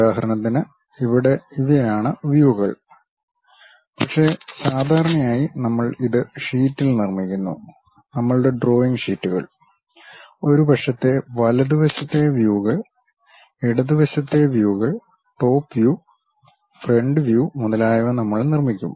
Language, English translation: Malayalam, For example here these are the views, but usually we construct it on sheet, our drawing sheets; perhaps right side views, left side views, top view, front view we construct